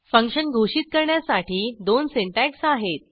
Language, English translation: Marathi, There are two syntaxes for function declaration